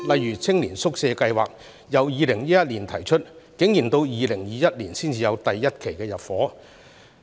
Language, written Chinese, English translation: Cantonese, 以青年宿舍計劃為例，早在2011年已經提出，但竟然到了2021年才第一期入伙。, For example the Youth Hostel Scheme was first proposed in 2011 but its first batch of units has not been occupied until 2021